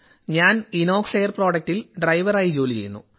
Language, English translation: Malayalam, I am here at Inox Air Products as a driver